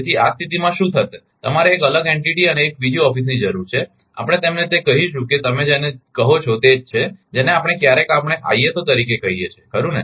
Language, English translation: Gujarati, So, in that case what will happen, you you need a separate ah entity and another office, we will call your what you call that your that is we sometimes we call ah ISO right